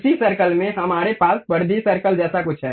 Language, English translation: Hindi, In the same circle, there is something like perimeter circle we have